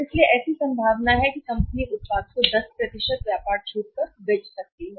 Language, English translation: Hindi, So, there is a possibility that company can sell the product in the market at 10% trade discount